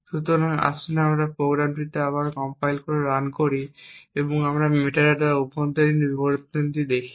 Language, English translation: Bengali, So, let us compile and run this program again and we see the internal details of the metadata